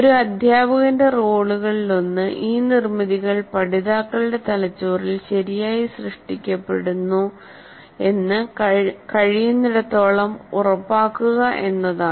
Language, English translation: Malayalam, So it is necessary that one of the role of the feature is to ensure to as far as possible these constructs are made correctly or are created correctly in the brains of the learners